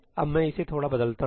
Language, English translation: Hindi, Now, let me change this slightly